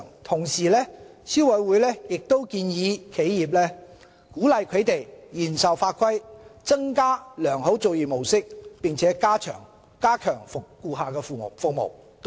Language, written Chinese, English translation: Cantonese, 同時，消委會亦給予企業建議，鼓勵商戶嚴守法規、增加良好作業模式並加強顧客服務。, The Council also gives recommendations to enterprises encouraging them to strictly comply with the law adopt good practices and enhance customer services